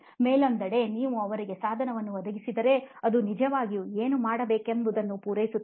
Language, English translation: Kannada, On the other hand if you provide them a device which is actually meant to serve what it should do